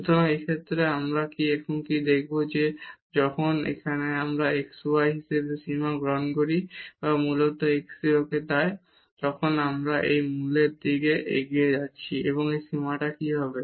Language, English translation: Bengali, So, in this case and what we will show now that what happens when we take the limit here as xy or basically this x goes to 0, we are approaching to the to the to the origin here what will happen to this limit